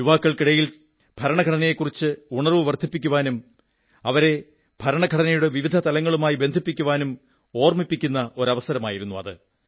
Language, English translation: Malayalam, This has been a memorable incident to increase awareness about our Constitution among the youth and to connect them to the various aspects of the Constitution